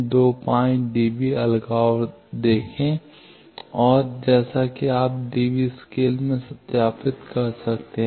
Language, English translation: Hindi, 25 db isolation see and as you can verify that in db scale